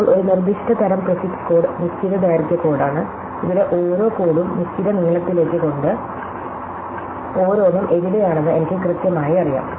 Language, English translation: Malayalam, Now, a very specific kind of prefix code is the fixed length code, where just by the fact that every code to the fixed length, I know exactly where each one is